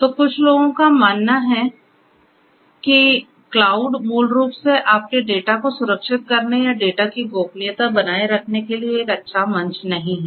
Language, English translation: Hindi, So, some people believe that cloud basically is not a good platform for securing your data or you know offering privacy of the data